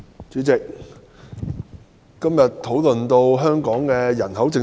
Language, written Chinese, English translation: Cantonese, 主席，今天的討論關乎香港的人口政策。, President the discussion today is about Hong Kongs population policy